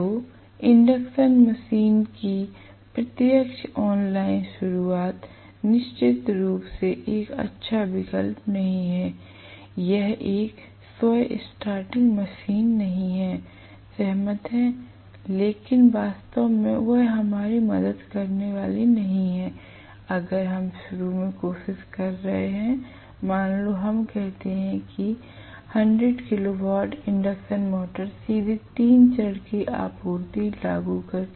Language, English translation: Hindi, So, direct online starting of an induction motor is definitely not a good option, it is a self starting machine agreed, but is not going to really, it is not going to really help us, if we are trying to start, let us say 100 kilo watt induction motor directly by applying the 3 phase supply